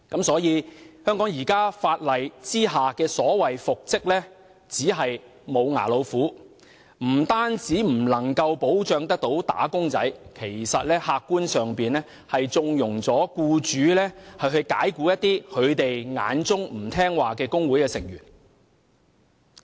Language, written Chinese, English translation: Cantonese, 所以，在香港現行法例下，所謂復職令只是"無牙老虎"，不但未能保障"打工仔"，客觀上更縱容僱主解僱他們眼中不聽話的工會成員。, Thus under the existing laws of Hong Kong a so - called order for reinstatement is just a toothless tiger which not only fails to safeguard wage earners but also objectively condones employers dismissal of trade union members whom they consider disobedient